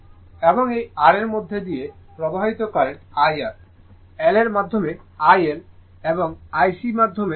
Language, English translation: Bengali, So, current flowing through this R is IR, through L, IL and through IC right